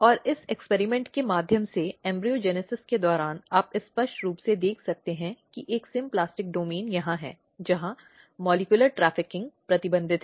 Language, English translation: Hindi, And during embryogenesis through this experiment, you can clearly see that one symplastic domain is here, if we look here, or here, where basically molecular trafficking is restricted